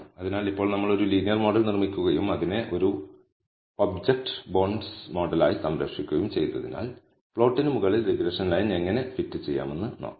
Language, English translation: Malayalam, So, now that we have built a linear model and have saved it as an object bondsmod let us see how to fit the regression line over the plot